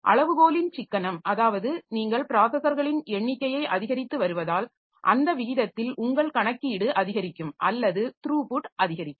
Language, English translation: Tamil, Economy of scale, so as you are increasing the number of processors then how what is the rate at which your computational computation increases or the throughput increases